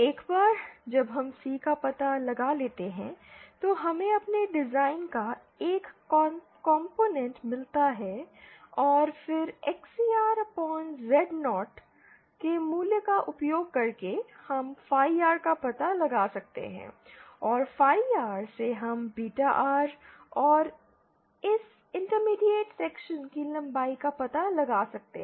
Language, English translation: Hindi, Once we find out C, we get one component of our design and then using the value of XCR upon Z0 we can find out phi R and from phi R we can find out beta R and the length of this intermediate section